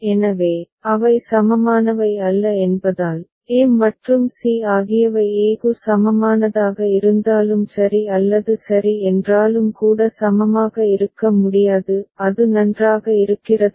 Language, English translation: Tamil, So, since they are not equivalent, a and c cannot be equivalent even if a e is equivalent or so ok; is it fine